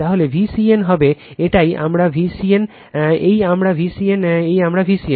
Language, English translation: Bengali, Then V c n will be this is my V c n, this is my V c n this is my V c n right